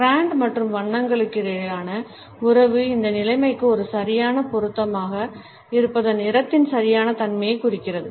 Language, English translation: Tamil, The relationship between brand and color hinges on the perceived appropriateness of the color being an exact fit for this situation